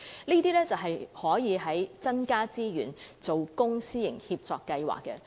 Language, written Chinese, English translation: Cantonese, 政府可以增加資源，在公私營協作計劃下進行這些工作。, The Government can increase resources for doing this kind of work under the public - private partnership programme